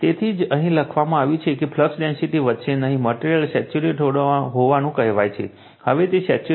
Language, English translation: Gujarati, So, that is why it is written here that you are what you call that after that flux density will not increase, the material is said to be saturated; now it is saturated